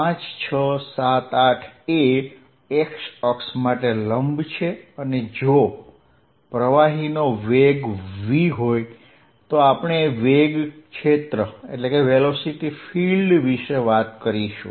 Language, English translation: Gujarati, 5, 6, 7, 8 is perpendicular to the x axis and if there is a velocity of fluid v we talking about velocity field